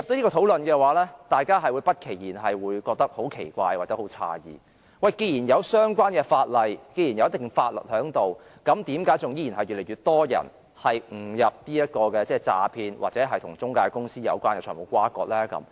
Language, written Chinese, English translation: Cantonese, 如果進入這樣的討論，大家便會不期然地感到十分奇怪或詫異，因為既然有相關的法例和一定的法律存在，為何依然越來越多人誤墮這種詐騙陷阱或與中介公司有關的財務轇轕呢？, If our discussion is conducted in this light Members may naturally find it most baffling or astonishing as to why since the relevant legislation and certain legal provisions are in place more and more people are still inadvertently caught in these scams or financial disputes involving intermediaries